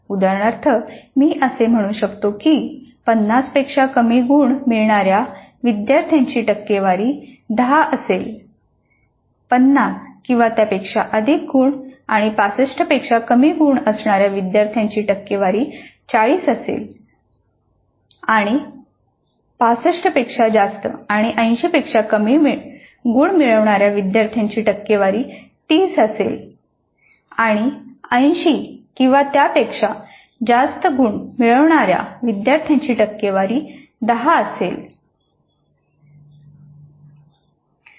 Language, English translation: Marathi, Percentage of students getting greater than 65 and less than 80 marks will be 30 percent and percentage of students getting greater than 80 marks will be 30 percent and percentage of students getting greater than 65 and less than 80 marks will be 30 percent and percentage of students getting more than 80 marks or more than equal to 80 marks will be 10 percent